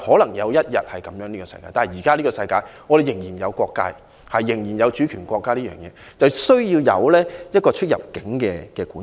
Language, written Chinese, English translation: Cantonese, 終有一天會世界大同，但現今世界仍然有國界，仍然有主權國家，需要有出入境管制。, The whole world may one day be united as one but now national boundaries still exist sovereign states still exist and immigration controls are thus needed